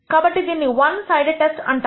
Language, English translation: Telugu, This is called the one sided test